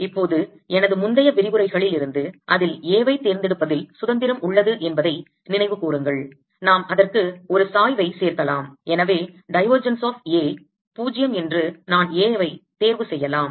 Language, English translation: Tamil, now recall from my earlier lectures that there is a freedom in choosing a, in that we can add a gradient to it and therefore i can choose in such a way that divergence of a is zero